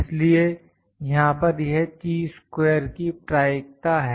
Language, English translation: Hindi, So, this is the probability I have probability for Chi square here